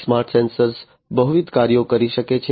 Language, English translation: Gujarati, Smart sensors can perform multiple functions